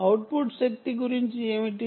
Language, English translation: Telugu, what about output power